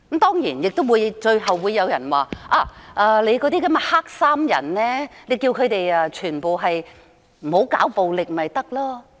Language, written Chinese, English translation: Cantonese, 當然，最後亦會有人說："你叫那些黑衣人不要搞暴力便行了。, Of course some may say in the end All will be fine if you can tell the black - clad people to stop their violence